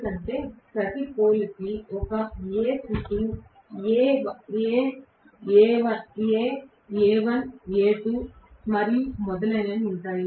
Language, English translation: Telugu, Because for each of the pole there will be one A sitting, A, A, A1, A2 and so on